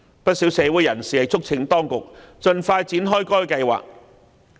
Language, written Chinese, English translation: Cantonese, 不少社會人士促請當局盡快展開該計劃。, Many people in the community have urged the authorities to initiate the plan as soon as possible